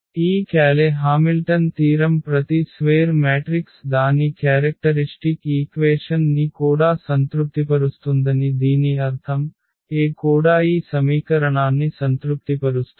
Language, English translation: Telugu, So, that this Cayley Hamilton theorem says that every square matrix also satisfies its characteristic equation and that means, that A will also satisfy this equation